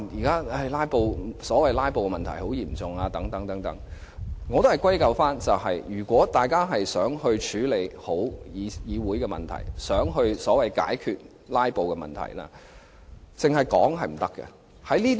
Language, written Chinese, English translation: Cantonese, 他說如今所謂的"拉布"問題十分嚴重，我會認為大家都想好好處理議會的問題，想解決所謂的"拉布"問題，但空談是沒用的。, He said the so - called problem of filibustering was now very serious . I think everyone wishes to address the problems of this Council properly and resolve the so - called problem of filibustering but empty talks are to no avail